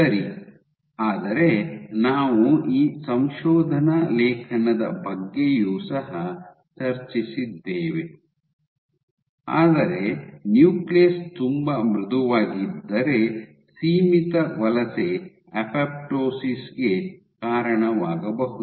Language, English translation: Kannada, Ok, but we have also discussed this paper, but if the nucleus is too soft your confined migration can lead to apoptosis